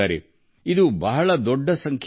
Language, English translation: Kannada, This is a very big number